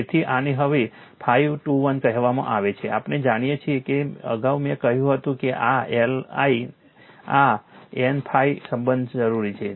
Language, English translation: Gujarati, So, this is your what you call phi 2 1 now, we know that earlier I told you know this relation is required that L I is equal to N phi